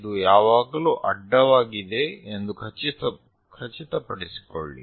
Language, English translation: Kannada, Make sure that this is always be horizontal